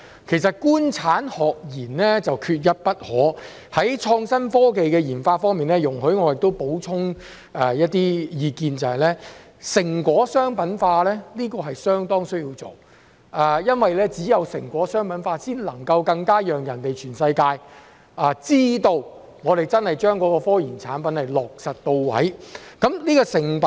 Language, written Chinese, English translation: Cantonese, 其實，"官產學研"缺一不可，在創新科技的研發方面，容許我補充一些意見，就是成果商品化是相當需要做的，因為只有將成果商品化，才更能讓全世界知道我們真的將科研產品落實到位。, In fact the government industry academia and research sectors are indispensable and in the area of innovation and technology research and development let me add that commercialization of results is very important because only by commercializing results can we show the world that we have really turned our research results into products